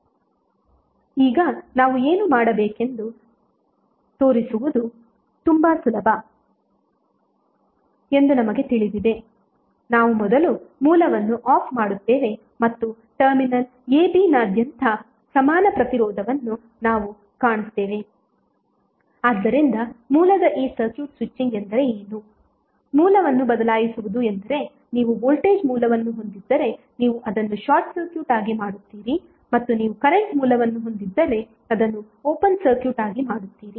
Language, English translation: Kannada, Now, we know that it is very easy to show that these are equivalent what we will do, we will first turn out the source and we will find the equivalent resistance across the terminal ab, so if you see this circuit switching of the source means what, switching of the source means if you have a voltage source you will simply make it as a short circuit and if you have a current source you will make it as a open circuit, so this will be opened if you are having the voltage source or short circuit if are having current source it will be open circuited if you have voltage source it will be short circuited